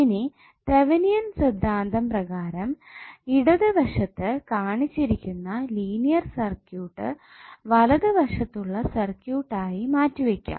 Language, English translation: Malayalam, Now according to Thevenin’s theorem, the linear circuit in the left of the figure which is one below can be replaced by that shown in the right